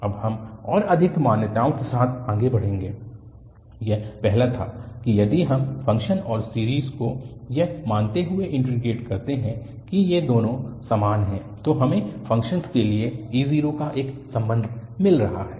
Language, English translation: Hindi, Now, we will move further with more assumptions, this was the first one that if we integrate the function and the series assuming that these two are equal, we got one relation of a0 to the function